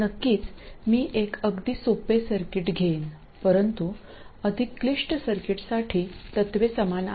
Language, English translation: Marathi, Of course, I will take a very simple circuit, but the principles are the same for more complicated circuits